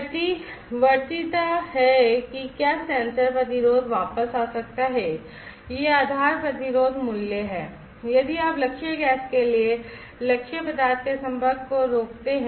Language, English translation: Hindi, Reversibility is whether the sensor resistance can return back to it is base resistance value; if you stop the exposure of the target material to the target gas